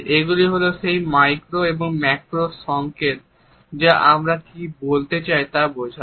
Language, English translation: Bengali, These are those micro and macro signals which illustrate what we want to say